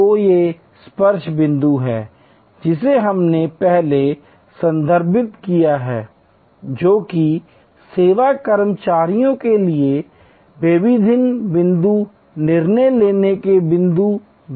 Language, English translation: Hindi, So, these are the touch points, that we have referred to earlier, which are also discretion point decision making points for service employees